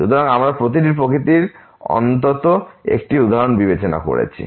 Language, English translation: Bengali, So, we have considered at least 1 example of each nature